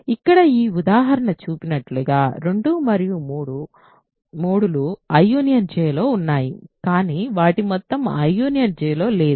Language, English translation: Telugu, As this example here shows 2 and 3 are in I union J, but their sum is not in I union J